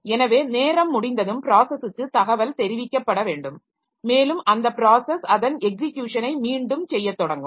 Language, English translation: Tamil, So, when that time is over then the process should be informed and the process will resume its execution from that point